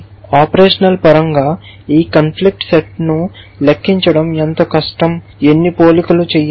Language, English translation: Telugu, How difficult is it to compute this conflict set in terms of how many operations, how many comparison you have to do